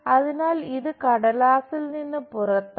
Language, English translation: Malayalam, So, this is out of paper